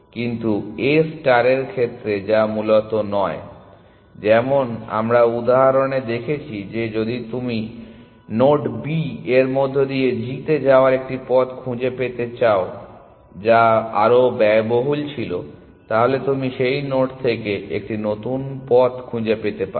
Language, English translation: Bengali, But in A star that is not the case essentially, like we saw in the example that we saw, if you have found a path to g which was through the node B which was a more expensive path you can find a new path from that node essentially